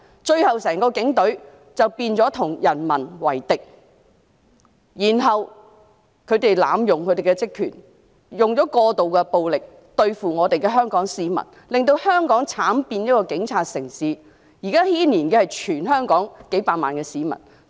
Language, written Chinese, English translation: Cantonese, 最後，整個警隊變成與民為敵，他們濫用職權，使用過度武力對付香港市民，令香港慘變警察城市，現在牽連的是全港數百萬市民。, Eventually the entire Police Force have turned into an enemy against the people as they abuse their powers and use excessive force against the people of Hong Kong thereby prompting Hong Kong to have tragically descended into a police city . Several millions of people in Hong Kong are being implicated now